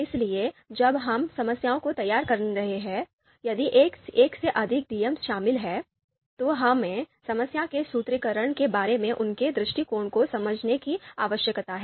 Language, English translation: Hindi, So while we are formulating the problem if there are more than one DMs or DM involved, then we need to understand their perspective as well regarding the formulation of the problem